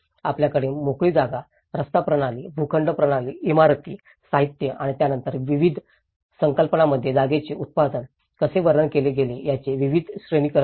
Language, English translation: Marathi, You have the various hierarchy of spaces, street system, plot system, buildings, materials and then how the production of space has been described in various concepts